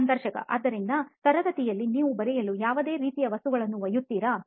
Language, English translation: Kannada, So in classroom do you carry any kind of material to write